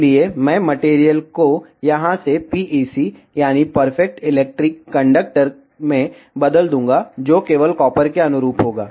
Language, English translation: Hindi, So, I will change the material from here to PEC that is Perfect Electric Conductor, which will correspond to copper only ok